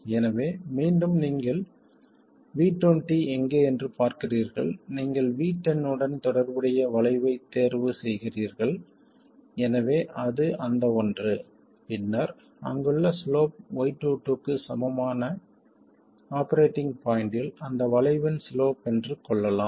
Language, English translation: Tamil, So, again, you look at where V2 is, you pick the curve corresponding to V1 0, so let's say it is that one, then the slope there, slope of that curve at the operating point, that is equal to Y22